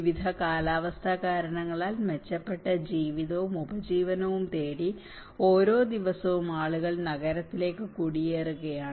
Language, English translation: Malayalam, Every day people are migrating to the city looking for a better life and livelihood for various climatic reasons